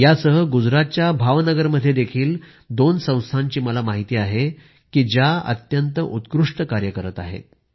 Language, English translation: Marathi, Along with this I know two organisations in Bhav Nagar, Gujarat which are doing marvellous work